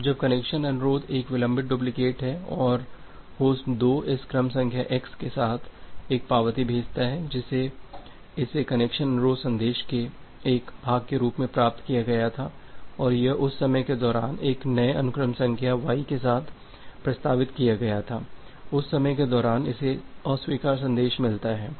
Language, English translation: Hindi, Now, when the connection request is a delayed duplicate and host 2 sends back an acknowledgement here with this sequence number x which it was received as a part of the connection request message and it proposed with a new sequence number y during that time it gets a reject message